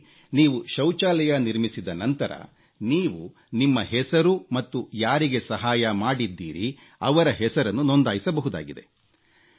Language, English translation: Kannada, in where after constructing a toilet you can register your name and the name of the beneficiary family, who you helped